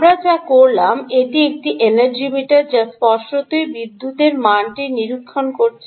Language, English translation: Bengali, ok, what we did was: this is a energy meter which obviously is monitoring power